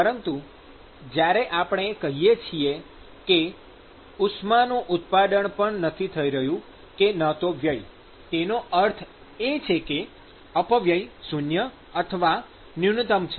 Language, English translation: Gujarati, But when we say that there is no generation or loss of heat, which means that the dissipation is 0